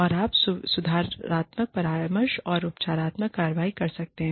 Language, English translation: Hindi, And, you can take corrective counselling and remedial action